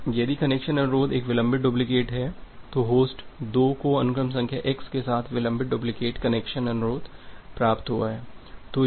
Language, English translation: Hindi, Now, if the connection request is a delayed duplicate so, the host 2 has received the delayed duplicate connection request with the sequence number x